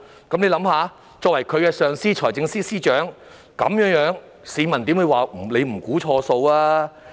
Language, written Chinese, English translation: Cantonese, 大家試想一想，財政司司長是發展局的上司，市民怎會不指責他"估錯數"？, Think about this FS is the supervisor of the Development Bureau so how can the public not blame him for making wrong estimates?